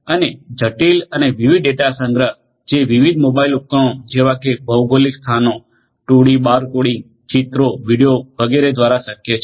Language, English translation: Gujarati, And complex and variety of data collection is possible through the use of different mobile devices such as geographical locations, 2D barcoding, pictures, videos etcetera